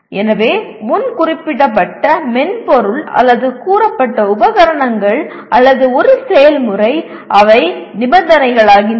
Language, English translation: Tamil, So pre specified software or the stated equipment or a procedure, they become conditions